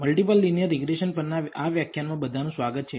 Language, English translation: Gujarati, Welcome everyone to this lecture on Multiple Linear Regression